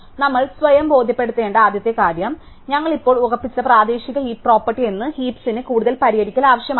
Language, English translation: Malayalam, And now, the first thing we have to convince ourselves is that the heap that we local heap property that we just fixed does not need any further fixing